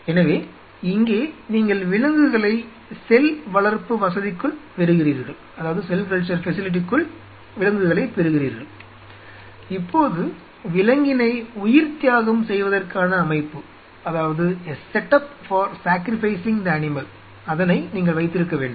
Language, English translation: Tamil, So, here you are getting the animal inside the facility, now you have to have a set up for sacrificing the animal